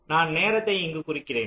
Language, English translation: Tamil, so i am just marking the time